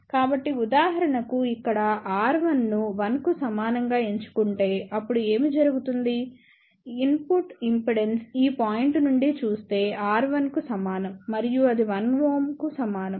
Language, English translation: Telugu, So, for example, over here if we choose R 1 equal to 1 ohm, then what will happen input impedance looking at this point is equal to R 1 and that would be equal to 1 ohm